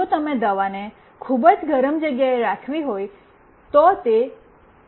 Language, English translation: Gujarati, If you want to keep the medicine in a very hot place, it might get damaged